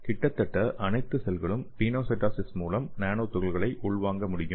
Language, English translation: Tamil, And almost all the cells can internalize nanoparticle by pinocytosis okay